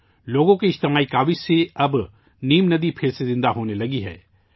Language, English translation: Urdu, On account of the collective efforts of the people, the Neem river has started flowing again